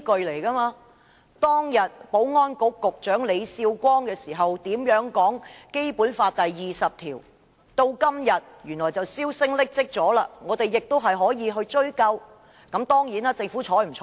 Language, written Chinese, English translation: Cantonese, 例如當年前保安局局長李少光如何解讀《基本法》第二十條，至今大家已經沒有印象，但我們仍可翻查紀錄追究。, For example today we may have no recollection of how Ambrose LEE former Secretary for Security interpreted Article 20 of the Basic Law many years ago but we can still hold him responsible by referring to the record